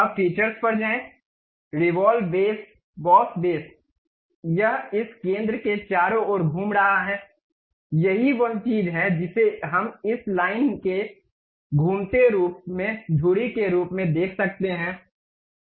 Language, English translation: Hindi, Now, go to features, revolve boss base, it is revolving around this centre one that is the thing what we can see axis of revolution as this line one